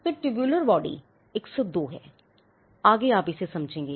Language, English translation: Hindi, So, tubular body is 102, so on and so forth, you will understand that